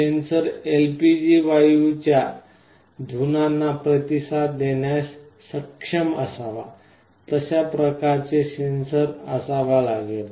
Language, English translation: Marathi, The sensor should be able to respond to LPG gas fumes, there has to be some kind of a sensor in that way